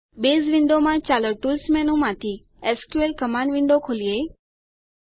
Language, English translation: Gujarati, In the Base window, let us open the SQL Command Window from the Tools menu